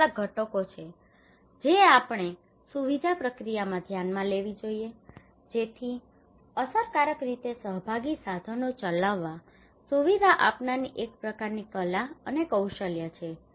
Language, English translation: Gujarati, These are some of the components we should consider in the facilitation process so it is a kind of art and skill of the facilitator to conduct effectively participatory tools